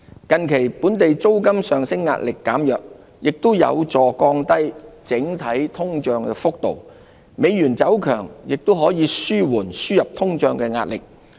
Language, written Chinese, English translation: Cantonese, 近期本地租金上升壓力減弱，也有助降低整體通脹幅度，美元走強亦可紓緩輸入通脹的壓力。, Pressure on local rentals eased recently and may also contribute to a lower headline inflation rate . Imported inflation may also be moderated along with the strengthening of the US dollar